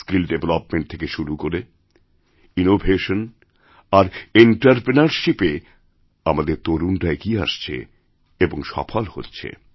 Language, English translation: Bengali, Our youth are coming forward in areas like skill development, innovation and entrepreneurship and are achieving success